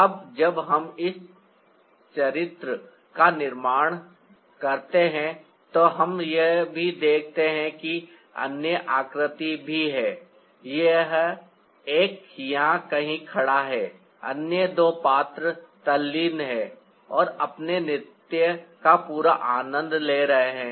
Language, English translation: Hindi, now, when we create this character, we also see that there other figures, one standing somewhere here, the other two characters engrossed, and they join their dance into the fullest